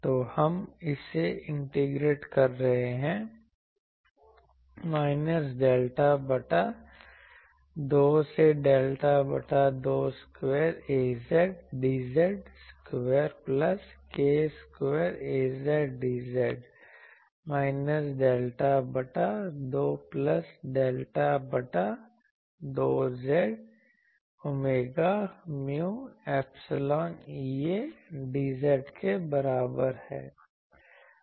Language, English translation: Hindi, So, we are integrating it minus delta by 2 to delta by 2 square A z d z square plus k square A z d z is equal to minus delta by 2 plus delta by 2 j omega mu epsilon E A dz ok